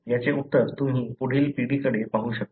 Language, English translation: Marathi, The answer is you can look into the next generation